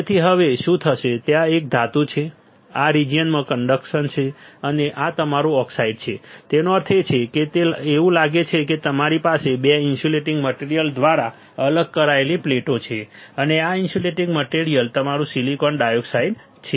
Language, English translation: Gujarati, So, now what will happen there is a metal here; there is conduction in this region and this is your oxide right this is your oxide; that means, it looks like you have 2 conducting plates separated by an insulating material and this insulating material is your silicon dioxide